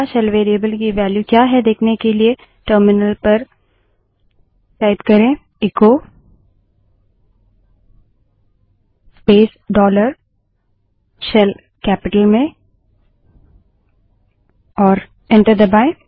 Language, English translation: Hindi, To see what is the value of the SHELL variable, type at the terminal echo space dollar S H E L L in capital and press enter